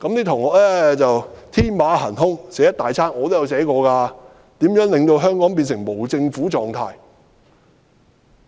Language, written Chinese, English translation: Cantonese, 同學天馬行空，寫了很多東西，我也寫過如何令香港變成無政府狀態。, My classmates were very imaginative and presented a great deal of ideas and I had also suggested how Hong Kong could be put on the path to anarchism